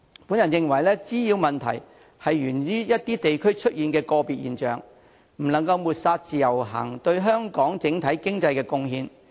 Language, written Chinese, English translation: Cantonese, 我認為滋擾問題是在一些地區出現的個別現象，我們不能抹煞自由行對香港整體經濟的貢獻。, In my view the nuisances in question are isolated cases occurring in certain districts . We cannot deny the contribution of IVS to the Hong Kong economy as a whole